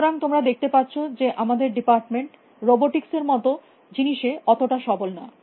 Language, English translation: Bengali, So, you can see our department is not very strong in things like robotics